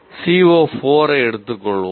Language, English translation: Tamil, Let us take C O 4